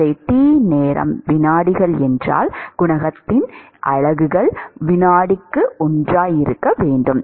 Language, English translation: Tamil, So, if t time is seconds then the units of the coefficient should be one by second